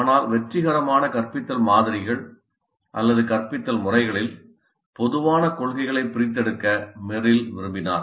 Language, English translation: Tamil, But Merrill wanted to extract such principles which are common across most of the successful instructional models or instructional methods